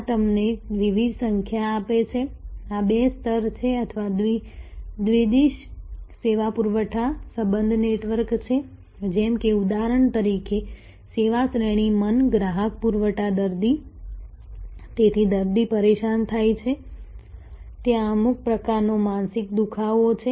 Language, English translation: Gujarati, this gives you number of different these are two level or bidirectional service supply relationship are networks like for example, service category mind customer supply patient, so the patient is disturbed there is some kind of mental acne